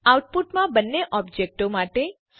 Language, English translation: Gujarati, Display the values for both the objects in the output